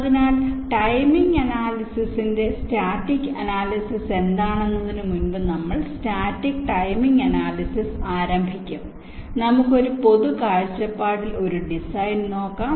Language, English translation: Malayalam, ok, before going into what static ana analysis of timing analysis is, let us look at a design from a general perspective